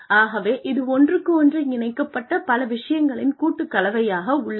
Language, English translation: Tamil, So, it is a combination of, a large number of things, that are interconnected